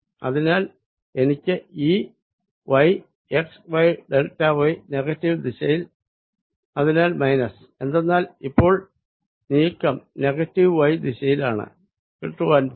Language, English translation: Malayalam, so i am going to have e, y, x, y, delta y, and that is in the negative direction, so minus, because now the displacement is the negative y direction, right